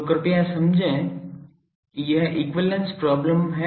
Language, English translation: Hindi, So, please understand that this is the equivalent problem